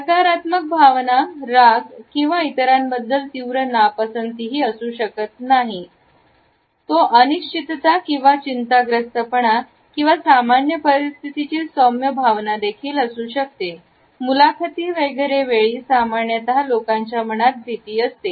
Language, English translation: Marathi, The negative emotion may not necessarily be anger or a strong dislike towards other; it may also be a mild feeling of uncertainty or nervousness or a normal situation of apprehension and fear which people normally face at the time of interviews etcetera